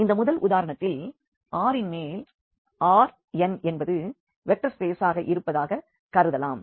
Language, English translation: Tamil, So, this elements of this V belongs to R n and R n is a vector space